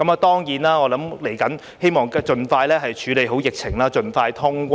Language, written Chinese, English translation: Cantonese, 當然，我希望接下來盡快處理好疫情，盡快通關。, Certainly I hope that the epidemic will be put under control and quarantine - free travel will be resumed in the soonest future